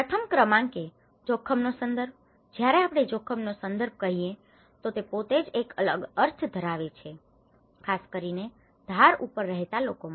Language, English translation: Gujarati, Number one context of risk, when we say context of risk itself has a different meaning especially the people living on the edge